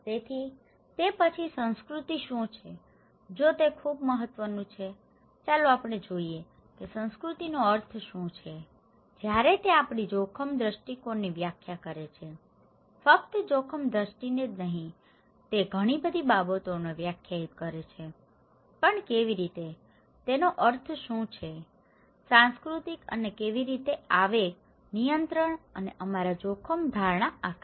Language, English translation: Gujarati, So, what is culture then, if it is so important, let us look here that what is the meaning of culture, when it is defining our risk perceptions, not only risk perception, it defines many things but how, what is the meaning of culture and how the impulse control and shape our risk perceptions